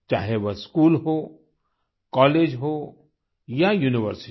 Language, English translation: Hindi, Whether it is at the level of school, college, or university